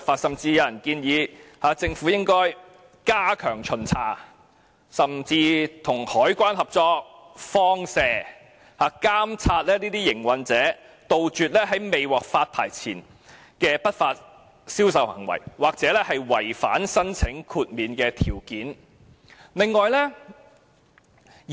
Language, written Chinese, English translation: Cantonese, 有人建議政府應要加強巡查，甚至與海關合作"放蛇"，監察那些營運者，杜絕在未獲發牌前的不法銷售行為，又或是違反申請豁免條件的情況。, It is suggested that the Government should step up inspections and even carry out undercover operations with the Customs and Excise Department to stop operators from engaging in illegal sales activities before the issuance of licenses and to rectify conditions non - compliant to apply for exemption